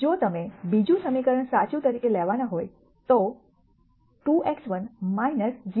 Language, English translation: Gujarati, If you were to take the second equation as true then 2 x 1 is minus 0